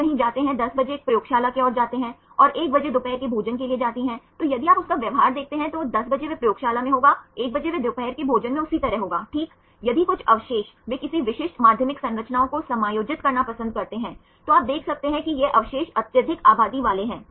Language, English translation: Hindi, They go somewhere 10 o clock come to a lab right and 1 o clock go to lunch, then if you see his behaviour he will be for 10 o clock he will be in the lab its 1 o clock he will be in the lunch right likewise if some residues they prefer to be accommodating any specific secondary structures, then you can see that these residues are highly populated